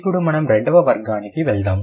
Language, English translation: Telugu, Now let's go to the second category